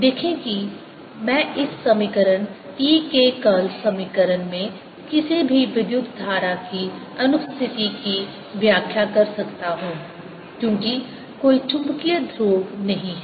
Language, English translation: Hindi, you see, i could explain the absence of any current in this equation, curl of e equation, because there are no magnetic poles